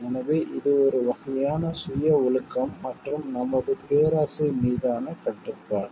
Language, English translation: Tamil, So, that we like it is a sort of self discipline and control on our greed